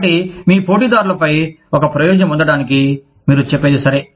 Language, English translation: Telugu, So, in order to gain an advantage, over your competitors, you say, okay